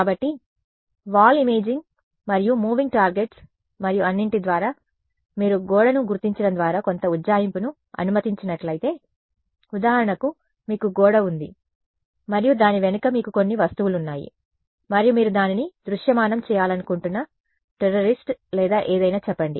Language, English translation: Telugu, So, through the wall imaging and moving targets and all of that; so, if you allow for some approximation so through the wall detection for example: is that you have a wall and you have some objects behind it and let us say a terrorist or something you want to visualize it